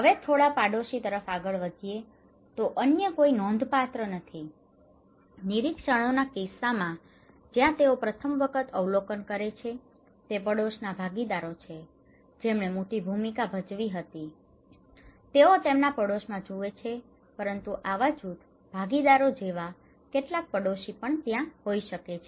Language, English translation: Gujarati, Now, a little bit extends to their neighbour, no other are significant, in case of observations where they first time observed, it is the neighbourhood partners who played a big role that means, they watch in their neighbourhood but also the cohesive group partners like could be that some of the neighbours are there, cohesive group partners